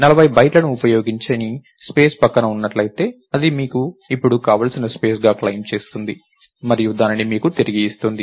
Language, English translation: Telugu, If there is a contiguous chunk of unused space of 40 bytes, it will claim that as a space that you want now and return it to you